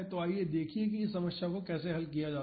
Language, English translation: Hindi, So, let us see how to solve this problem